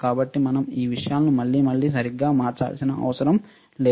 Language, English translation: Telugu, So, we do not have to alter these things again and again right